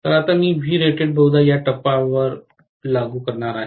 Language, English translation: Marathi, So, I am going to apply V rated probably at this point